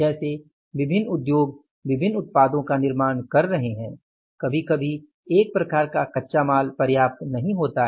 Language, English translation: Hindi, In a different industries or for manufacturing different products, sometimes one type of the raw material is not sufficient